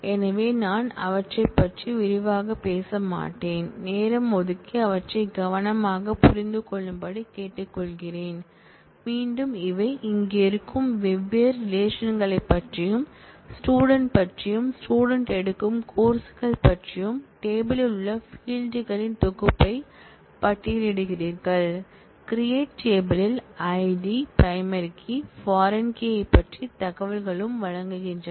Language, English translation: Tamil, So, I will not go through them in detail, I will request you to take time and carefully understand them, again these are about different relations that exist here, about the student and about the courses that the students take, and in every case we have specified the set of fields, that you have in the table in the design of the schema are listed, in the create table the ID information about the primary key is provided and also the information about the foreign key